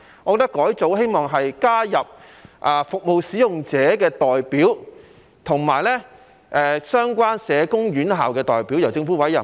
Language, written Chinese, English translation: Cantonese, 我希望改組以加入服務使用者的代表及相關社工院校的代表，由政府委任。, I hope that restructuring will bring into the Board representatives of service users and relevant institutes of social workers to be appointed by the Government